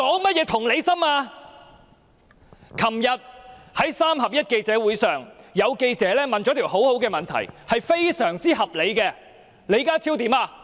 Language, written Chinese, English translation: Cantonese, 昨天在"三合一"的記者會上，有記者提出了一項很好及非常合理的問題，李家超卻恐嚇他。, At the three - in - one press conference yesterday a reporter raised a very good and reasonable question but John LEE threatened him